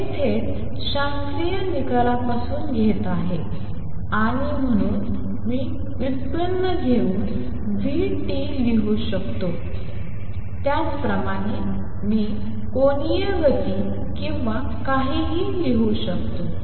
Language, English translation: Marathi, This is taking directly from the classical result and therefore, I could write vt by taking the derivative similarly I can write angular momentum or whatever